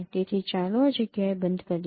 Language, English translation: Gujarati, So, let us stop at this point